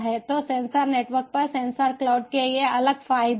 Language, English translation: Hindi, so these are the different advantages of sensor cloud over sensor networks